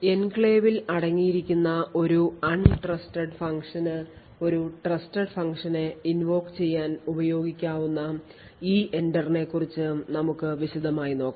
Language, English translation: Malayalam, So, we look more in detail about EENTER where untrusted function could invoke a trusted function which present in the enclave